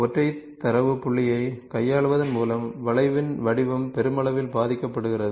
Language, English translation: Tamil, Shape of the curve is affected to a great extent by manipulating a single data point